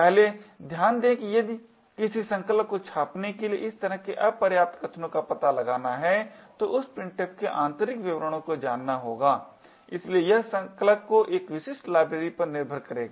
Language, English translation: Hindi, First note that if a compiler has to detect such insufficient arguments to printf it would need to know the internal details of printf therefore it would make the compiler dependent on a specific library